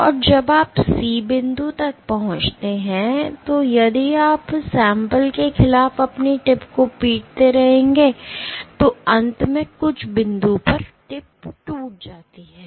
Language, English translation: Hindi, And after you reach C point so, if you keep on banging your tip against the sample then eventually at some point the tip will break